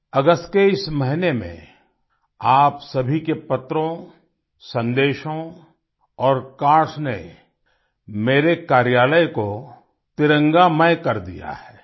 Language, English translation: Hindi, In this month of August, all your letters, messages and cards have soaked my office in the hues of the tricolor